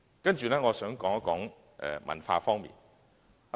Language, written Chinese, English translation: Cantonese, 接着我想談談文化方面的事宜。, Next I would like to say a few words about culture